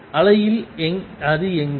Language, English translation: Tamil, Where is it in the wave